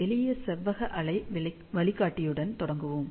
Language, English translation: Tamil, So, we will start with simple rectangular waveguide